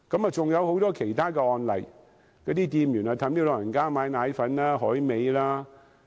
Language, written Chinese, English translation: Cantonese, 還有很多其他案例，有些店員勸誘長者買奶粉、海味。, There are even more cases some shopkeepers would lure the elderly people to purchase milk powders and dried seafood